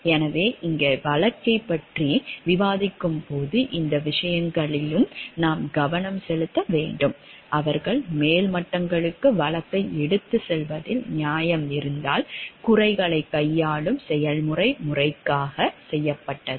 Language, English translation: Tamil, So, here while discussing the case also we need to focus on these things; like, where they justified in taking up the case to the upper levels were the process of grievance handling done properly